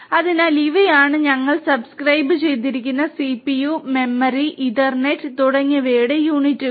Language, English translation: Malayalam, So, these are the units of CPU, memory, Ethernet, and so on to which we are subscribed